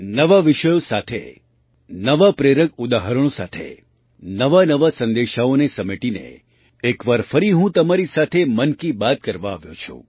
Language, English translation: Gujarati, With new topics, with new inspirational examples, gathering new messages, I have come once again to express 'Mann Ki Baat' with you